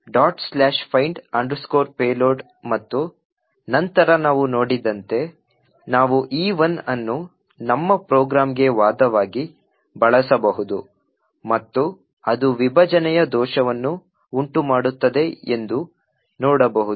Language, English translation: Kannada, So, dot/findpayload and then as we have seen we can use E1 as an argument to our program vuln cat e1 and see that it has a segmentation fault